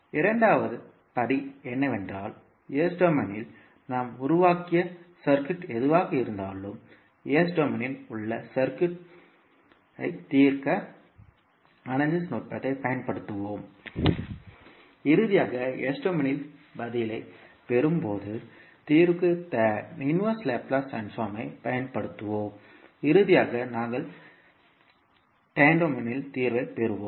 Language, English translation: Tamil, So, the second step will be that whatever the circuit we have formed in s domain we will utilize the circuit analysis technique to solve the circuit in s domain and finally, when we get the answer in s domain we will use inverse Laplace transform for the solution and finally we will obtain the solution in in time domain